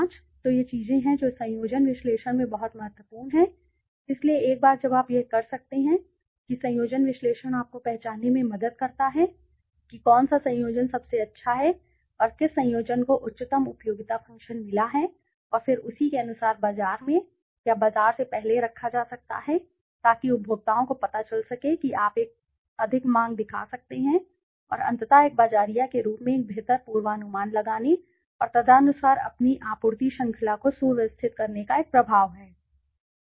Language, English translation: Hindi, 25 so these are the things that are very important in conjoint analysis so once you can do that conjoint analysis helps you to identify which is the best combination and which combination has got the highest utility function and then accordingly that can be placed to the market or before the market so that the consumers can you know show a greater demand and ultimately that also has an impact in doing a better forecasting as a marketer and streamlining your supply chain accordingly, right, okay that is all for the day we have